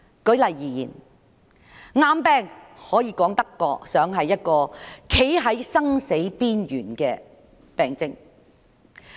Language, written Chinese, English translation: Cantonese, 舉例而言，癌病說得上是一個讓人站在生死邊緣的病症。, For example cancer is said to be a disease that makes people stand on the verge of life and death